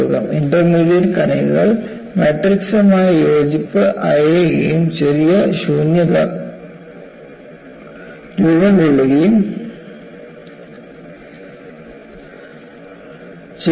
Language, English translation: Malayalam, The intermediate particles loose coherence with the matrix and tiny voids are formed